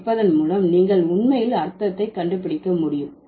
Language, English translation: Tamil, So, by listening to the word, you can actually figure out the meaning